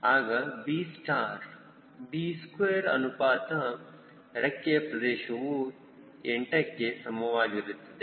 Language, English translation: Kannada, then i know b square by wing area is equal to eight